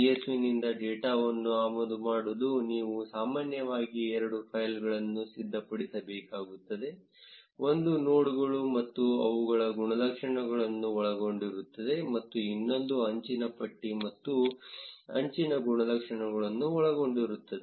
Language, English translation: Kannada, To import data from csv, you will usually need to prepare two files, one containing nodes and their attributes and the other containing an edge list and edge attributes